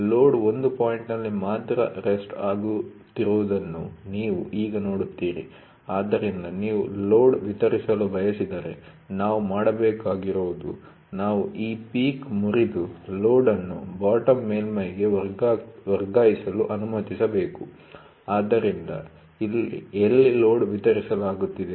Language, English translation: Kannada, Now you see the load is resting on one point only, so, the load if you wanted to distributed then, what we have to do is we have to break this peak and allow the load to be shifted to the bottom surface, so where the load is getting distributed